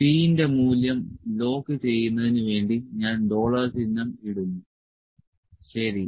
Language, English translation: Malayalam, So, let me put it dollar sign to lock the value of p bar; p bar is to be locked, ok